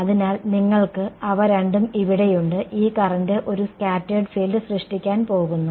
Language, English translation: Malayalam, So, you have both of them over here, this current in turn is going to produce a scattered field